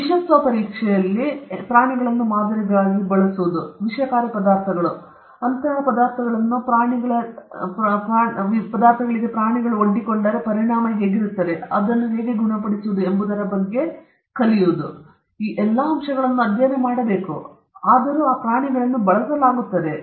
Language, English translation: Kannada, Using animals as models in toxicity testing; certain toxic substances, if they are exposed to such substances what are the impact and how they can be cured; all these aspects have to be studied, for that animals are being used